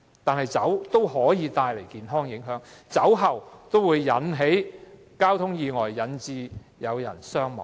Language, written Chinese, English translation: Cantonese, 然而，酒同樣會帶來健康影響，酒後駕駛會引致交通意外，造成人命傷亡。, Nevertheless drinking likewise causes health impacts . Drink driving may cause traffic accidents and casualties